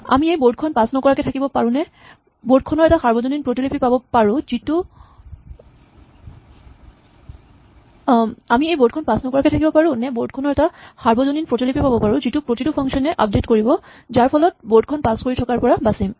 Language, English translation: Assamese, So, can we avoid passing this board explicitly or can we have a single global copy of the board that all the functions can update which will save us passing this board back and forth